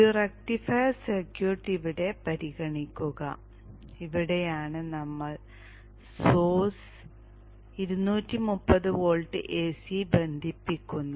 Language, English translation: Malayalam, Consider this rectifier circuit here and this is where we connect the source, the 230 volt AC